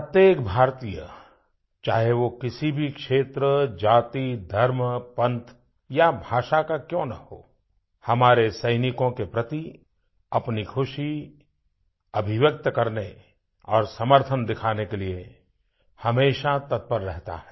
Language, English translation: Hindi, Every Indian, irrespective of region, caste, religion, sect or language, is ever eager to express joy and show solidarity with our soldiers